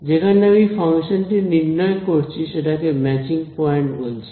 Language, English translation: Bengali, The choice of the place where I evaluate the function I also call it a matching point